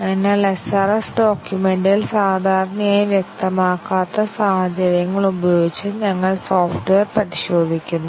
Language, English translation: Malayalam, So, here we test the software with situations that are not normally specified in the SRS document